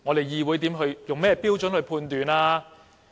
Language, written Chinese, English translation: Cantonese, 議會用甚麼標準判斷呢？, What standards can the Council apply to make a decision?